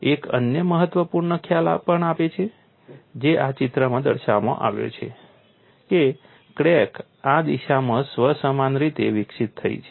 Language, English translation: Gujarati, There is also another important concept which is depicted in this picture that crack has grown in this direction in a self similar manner